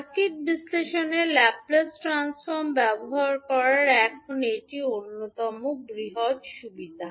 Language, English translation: Bengali, Now this is the one of the biggest advantage of using Laplace transform in circuit analysis